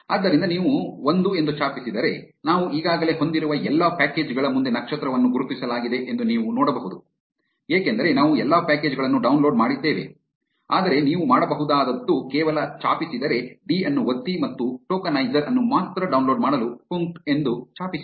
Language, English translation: Kannada, So, if you type l you can see that a star is marked in front of all the packages that we already have because we downloaded all the packages, but what you can do is just press d and type punkt to download only the tokenizer